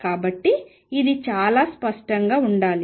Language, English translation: Telugu, So, this should be very clear